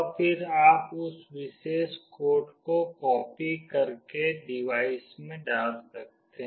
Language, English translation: Hindi, And you can then copy that particular code and put it in the device